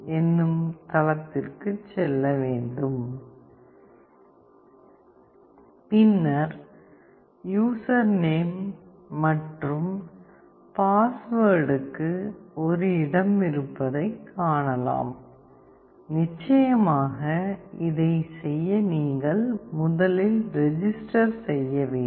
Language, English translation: Tamil, org Then you see that there is a place for user name and password; of course, you have to first signup to do this